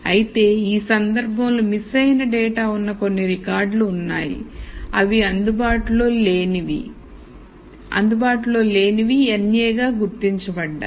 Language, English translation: Telugu, However, in this case there are some records which has data that is missing these are marked as not available n a